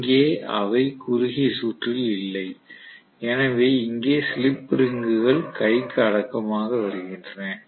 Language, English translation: Tamil, Here they are not short circuited, so here slip rings come in handy